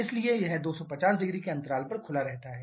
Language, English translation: Hindi, So, it remains open over a span of 2500